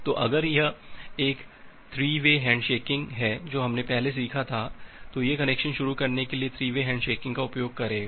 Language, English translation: Hindi, So, if it is a 3 way hand shaking that we have learnt earlier, it will used the 3 way hand shaking for initiating the connection